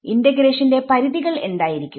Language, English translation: Malayalam, What will be the limits of integration